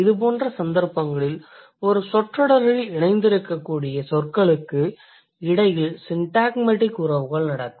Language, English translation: Tamil, In such case, semantic relations between words that can co occur in the same sentence